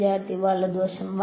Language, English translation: Malayalam, The right hand side